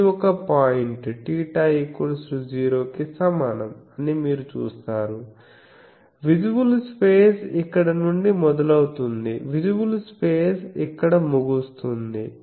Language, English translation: Telugu, You see this is one point theta is equal to 0 so, visible space starts from here visible space ends here